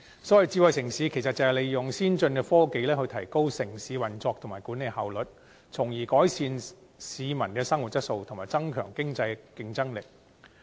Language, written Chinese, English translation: Cantonese, 所謂智慧城市是利用先進科技，提高城市運作及管理效率，從而改善市民的生活質素及增強經濟競爭力。, Smart city means utilizing innovation and technology to enhance the effectiveness of city operation and management with a view to improving peoples quality of living and boosting economic competitiveness